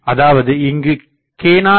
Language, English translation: Tamil, So, we know f